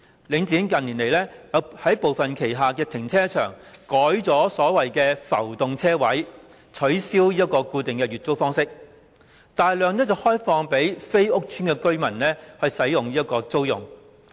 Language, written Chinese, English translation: Cantonese, 領展近年在旗下部分停車場改用所謂的浮動車位，取消固定月租的方式，把車位大量開放給非屋邨住戶租用。, In recent years Link REIT has changed the parking spaces in some of its car parks to floating ones abolishing monthly fixed parking spaces and opening up a large number of parking spaces for rent by users who are not residents of the housing estates